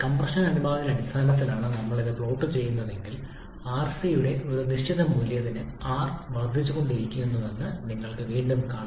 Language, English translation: Malayalam, If we plot it in terms of compression ratio, again you will be seeing that for a given value of rc, r keeps on increasing